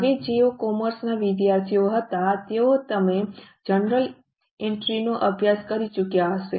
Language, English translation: Gujarati, Now, those of you who are commerce students, you would have already studied journal entries